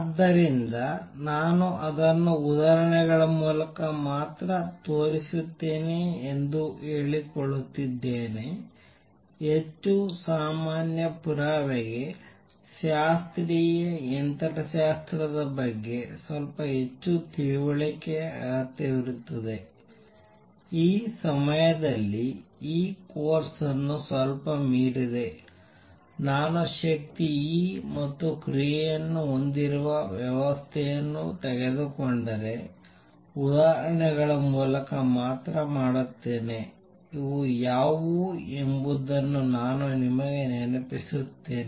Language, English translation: Kannada, So, I am claiming that I will show it only through examples; more general proof requires little more understanding of classical mechanics which at this time is slightly beyond this course, I will do only through examples that if I take a system with energy E and action A; let me remind you what these are